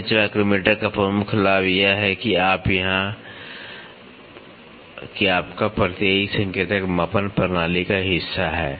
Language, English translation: Hindi, The major advantage of bench micrometer is that yeah your fiducial indicator is part of the measuring system